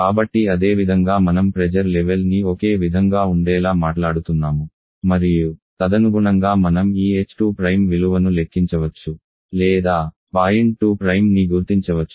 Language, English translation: Telugu, So here of course, we are talking on the final pressure to be the final temperature pressure level to be the same and according you can calculate the value of this h2 prime or, locate the point 2 prime